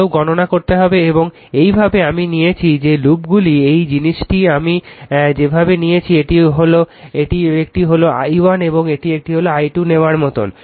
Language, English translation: Bengali, That you suppose you have to compute and this way I have taken that loops are this thing the way I have taken this is one is i 1 and this is one is like taken i 2 right